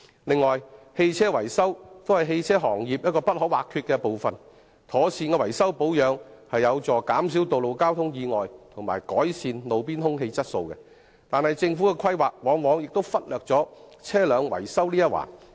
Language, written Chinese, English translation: Cantonese, 此外，車輛維修也是汽車行業一個不可或缺的部分，妥善的維修保養有助減少道路交通意外及改善路邊空氣質素，但政府的規劃卻往往忽略了車輛維修這一環。, Furthermore vehicle maintenance is an indispensible part of the automobile industry . Proper repair and maintenance helps to reduce road accidents and roadside air pollution but the Government often neglects the importance of vehicle maintenance in its planning